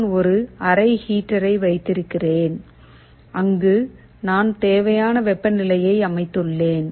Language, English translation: Tamil, Suppose I have a room heater where I have set a required temperature